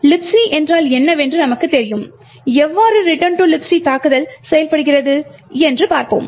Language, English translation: Tamil, So, given that we know that what LibC is let us see how a return to LibC attack actually works